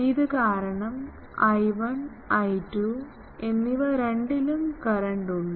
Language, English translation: Malayalam, So, I 1 and I 2 both having currents so, both will now radiate